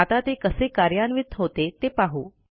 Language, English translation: Marathi, Now let us see how it is implemented